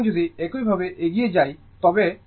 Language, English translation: Bengali, So, similar way if you proceed right